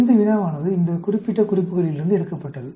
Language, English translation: Tamil, This problem is taken from this particular references